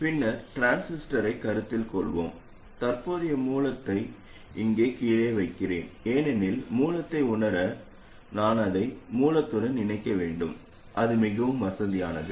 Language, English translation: Tamil, Now we will study an alternative where we sense the current difference at the transistor and I will place the current source down here because to sensor the source I will have to connect it to the source so that's more convenient